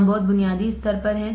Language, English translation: Hindi, We are at a very basic stage